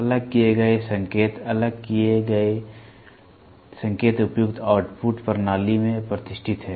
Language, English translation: Hindi, The segregated signal, the separated signals are distinguished to appropriate output channels